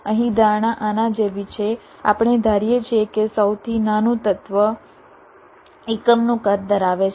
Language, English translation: Gujarati, here the assumption is like this: we assume that the smallest element has unit size